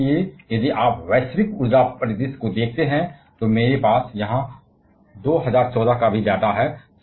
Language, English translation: Hindi, And that is why if you see the global energy scenario, I have the data of 2014 here